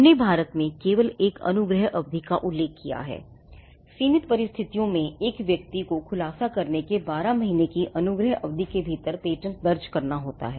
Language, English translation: Hindi, We just mentioned a grace period exist in India, in limited circumstances where a person makes a disclosure there is a grace period of twelve months for the person to file the patent